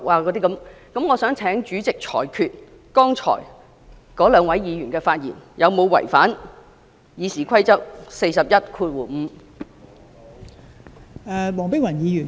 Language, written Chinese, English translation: Cantonese, 我想請代理主席裁決，剛才兩位議員的發言有否違反《議事規則》第415條。, I would like to ask the Deputy President to make a ruling on whether these two Members have contravened Rule 415 of the Rules of Procedure